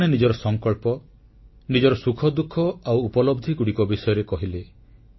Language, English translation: Odia, People spoke about their determination, their happiness and their achievements